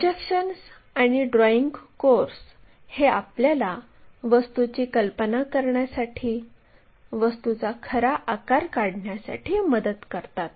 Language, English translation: Marathi, The projections and the drawing course help us to visualize, to find out these object true shapes